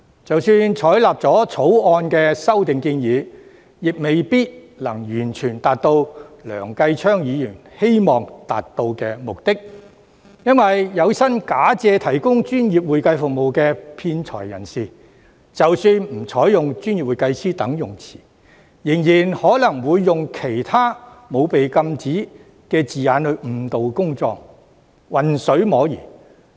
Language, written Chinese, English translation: Cantonese, 即使採納《條例草案》的修訂建議，亦未必能夠完全達到梁繼昌議員希望達到的目的，原因是有心假借提供專業會計服務的騙財人士，即使不採用"專業會計師"等稱謂，仍然可能會用其他沒有被禁止的字眼來誤導公眾，混水摸魚。, Even if the proposed amendments in the Bill are endorsed it may not necessarily fully achieve the objectives as desired by Mr Kenneth LEUNG . Though fraudsters who intend to defraud in the name of providing professional accounting services are prohibited from using descriptions such as professional accountant they can still other unrestricted terms to mislead members of the public and fish in troubled waters